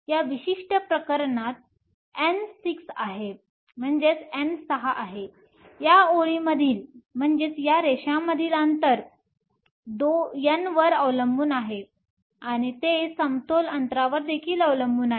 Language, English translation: Marathi, In this particular case N is 6, the spacing between these lines depend upon N and it also depends on the equilibrium distance